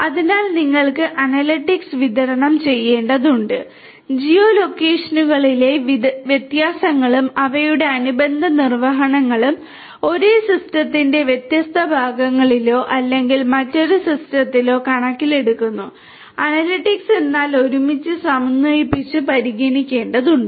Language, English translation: Malayalam, So, you need to have distributed analytics; analytics which will take into account the differences in the geo locations and their corresponding executions of the different parts of the same system or maybe of a different system, but are synchronized together that has to be taken into consideration